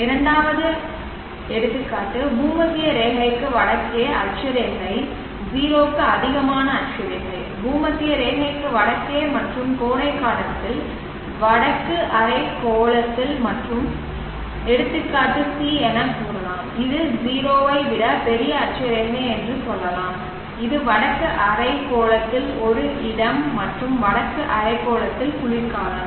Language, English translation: Tamil, Second case we can say latitude to the north of the equator latitude greater than 0, north of the equator and during summer in the northern hemisphere and case C let us say latitude greater than 0 which is a place in the northern hemisphere and winter in the northern hemisphere under these conditions what is the length of the day for each of these conditions